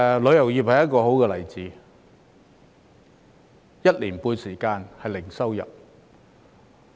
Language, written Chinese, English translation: Cantonese, 旅遊業便是一個好例子，有一年半的時間是零收入。, A good case in point is the tourism industry which has not had any income for one and a half years